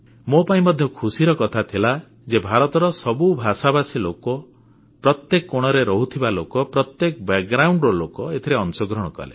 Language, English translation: Odia, And this was a matter of joy for me that people speaking all the languages of India, residing in every corner of the country, hailing from all types of background… all of them participated in it